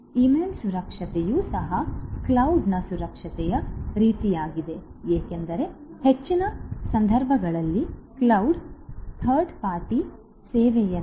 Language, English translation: Kannada, Email security also likewise and cloud security, because cloud is like a third party service in most of the cases